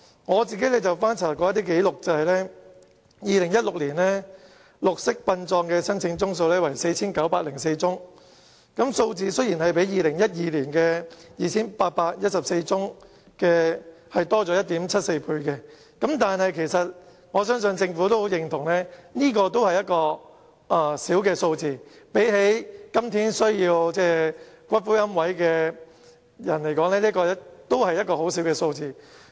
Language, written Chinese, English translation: Cantonese, 我曾翻查紀錄，顯示2016年綠色殯葬的申請宗數為 4,904 宗，較2012年的 2,814 宗增加了 1.74 倍，但我相信政府也會認同這只是一個小數目，相對於今天龕位的需求而言，這真的微不足道。, Of course the Government should also step up its promotion . I have looked up the record and found that the number of application for green burial had increased by 1.74 times from 2 814 in 2012 to 4 904 in 2016 . And yet I think the Government would also agree that the number is still small and negligible with regard to the present demand for niches